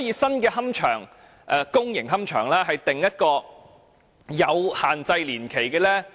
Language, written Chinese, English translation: Cantonese, 新的公營龕場可否訂出擺放年限？, Can a time limit be set for the new columbaria?